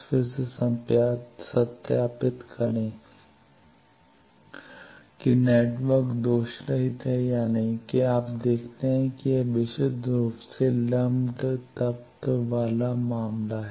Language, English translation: Hindi, Again verify whether the network is lossless or not, that you see this is a purely lumped element case